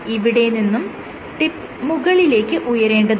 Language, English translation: Malayalam, From here the tip has to go up